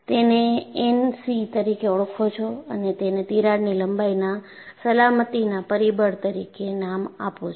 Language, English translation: Gujarati, You call this as N c and you name it as crack length safety factor